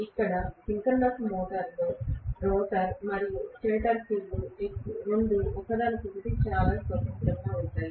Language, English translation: Telugu, Whereas here in synchronous motor the rotor and the stator field both of them are independent of each other